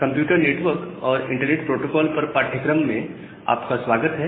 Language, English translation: Hindi, Welcome back to the course on Computer Network and Internet Protocols